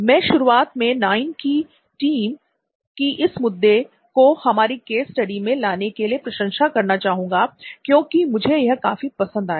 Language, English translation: Hindi, So at the outside, I would really appreciate the entire team of Knoin for bringing this up for our case study, so I really like it